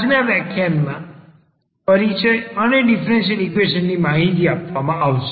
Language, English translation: Gujarati, So, today’s lecture will be diverted to the introduction and the information of differential equations